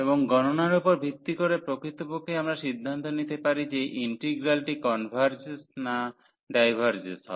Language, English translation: Bengali, And with the basis of the evaluation indeed we can conclude whether the integral converges or it diverges